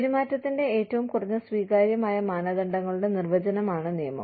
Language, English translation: Malayalam, The law is the definition of, the minimum acceptable standards of behavior